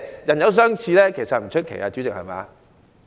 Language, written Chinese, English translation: Cantonese, 人有相似並不出奇，主席，對嗎？, It is nothing strange for people to look alike right President?